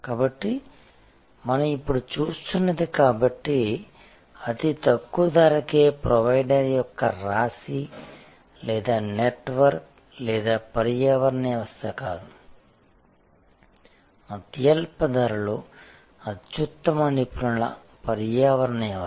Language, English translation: Telugu, So, what we are now seeing is therefore, not a constellation or network or ecosystem of the lowest cost provider, but an ecosystem of the best experts at the lowest cost